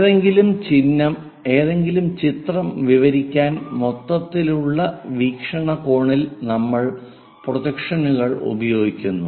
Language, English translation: Malayalam, To describe about any picture, in the overall perspective we use projections